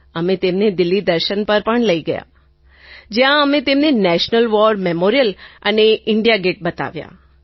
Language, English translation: Gujarati, We also took them around on a tour of Delhi; we showed them the National war Memorial & India Gate too